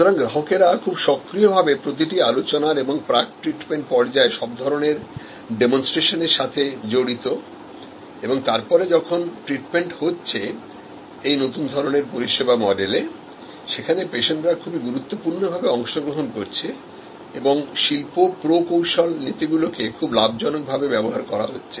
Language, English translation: Bengali, So, there is an active involvement of the customers to discussions and various kinds of demonstrations in the pre treatment stage and then, the treatment happens and then, here is a they are description of the new service model, whether customers play very significant part and industrial engineering principles are gainfully employed